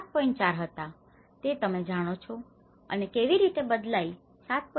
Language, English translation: Gujarati, 4% you know and how it is changing and from 7